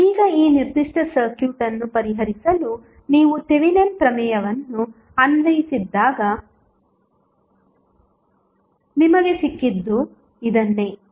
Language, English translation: Kannada, Now, this is what you got when you did not apply Thevenin theorem to solve this particular circuit